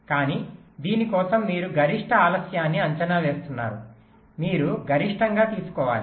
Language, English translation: Telugu, but for this you are estimating the maximum delay